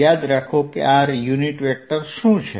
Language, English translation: Gujarati, remember what is r unit vector